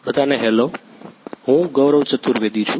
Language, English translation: Gujarati, Hello everyone, I am Gaurav Chaturvedi